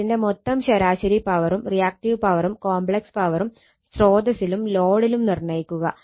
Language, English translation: Malayalam, You have to determine the total average power, reactive power and complex power at the source and at the load right